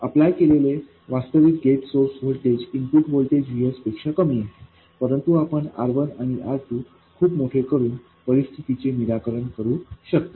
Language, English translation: Marathi, The actual gate source voltage applied is smaller than the input voltage VS, but you can fix this situation by making R1 and R2 very large